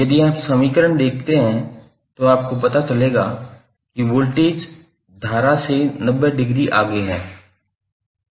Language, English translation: Hindi, If you see this particular equation you will come to know that voltage is leading current by 90 degree